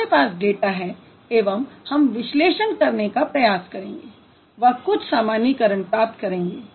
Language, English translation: Hindi, We have the data, we'll try to do the analysis and we'll come up with the generalization